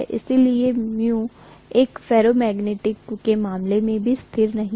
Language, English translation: Hindi, So mu is also not a constant in the case of a ferromagnetic core